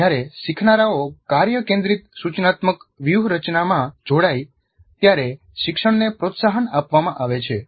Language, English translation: Gujarati, Learning is promoted when learners engage in a task centered instructional strategy